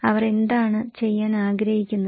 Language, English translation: Malayalam, What they want to do